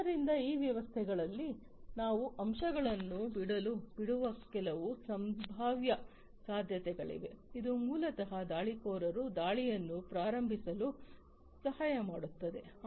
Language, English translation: Kannada, So, there are some potential possibilities of leaving some points in those systems which through which basically the attackers can launch the attacks